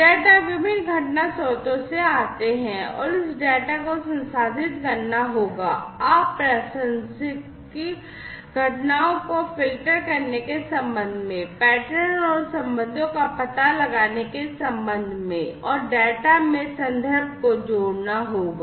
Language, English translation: Hindi, Data come from different event sources and this data will have to be processed, with respect to filtering out irrelevant events, with respect to detecting patterns and relationships, and adding context to the data